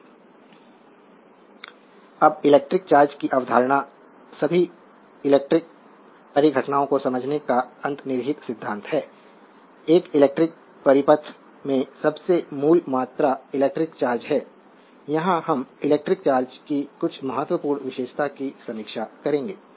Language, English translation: Hindi, Now, the concept of electric charge is the underlying principle of explaining all electrical phenomena, the most basic quantity in an electric circuit is the electric charge, here we will review some important characteristic of electric charge